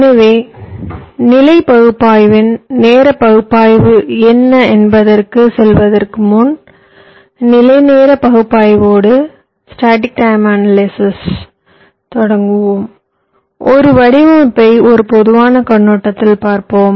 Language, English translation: Tamil, ok, before going into what static ana analysis of timing analysis is, let us look at a design from a general perspective